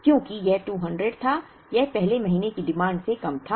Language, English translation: Hindi, Because it was 200 it happened to be less than the first month’s demand